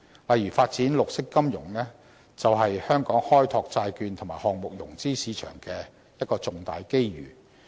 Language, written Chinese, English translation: Cantonese, 例如發展綠色金融，便是香港開拓債券及項目融資市場的一個重大機遇。, The development of green finance for instance presents a great opportunity for Hong Kong to aggrandize its bond and project finance markets